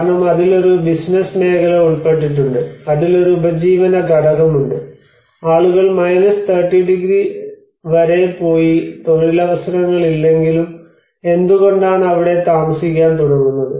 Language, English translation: Malayalam, Because there is a business sector involved in it because there is a livelihood component involved in it why would people go all the way to 30 degrees and start living there if there is no employment opportunities